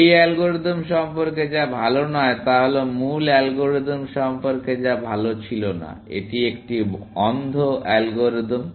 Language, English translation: Bengali, What is not nice about this algorithm is what was not nice about the original algorithm; it is a blind algorithm, now essentially